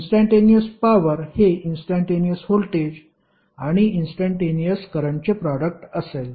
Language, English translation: Marathi, Instantaneous power it will be definitely a product of instantaneous voltage and instantaneous current